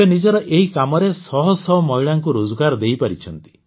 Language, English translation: Odia, He has given employment to hundreds of women here